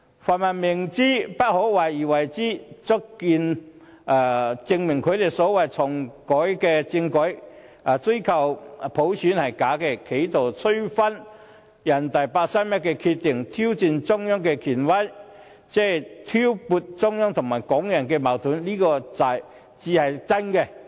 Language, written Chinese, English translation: Cantonese, 泛民明知不可為而為之，亦足以證明他們要求重啟政改及追求普選是假的，企圖推翻人大常委會八三一決定、挑戰中央的權威及挑撥中央和港人的矛盾才是真正的目的。, The pan - democrats act of advocating something impossible is good enough to prove that their request for constitutional reform is purely an excuse where their real purposes are to overturn the decision made by NPCSC on 31 August 2014 challenge the authoritativeness of the Central Government and stir up China - Hong Kong conflicts